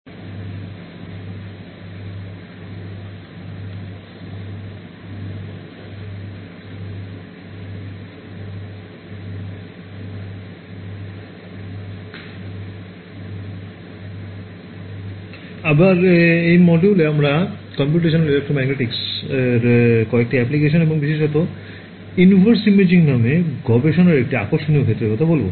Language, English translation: Bengali, So in this module we will be talking about some of the applications of Computational Electromagnetics and in particular an interesting area of research called inverse imaging ok